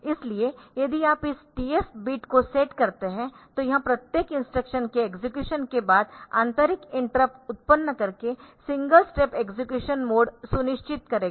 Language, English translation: Hindi, So, if you set this TF bit then it will be ensuring that a single step execution mode by generating internal interrupts after execution of each instruction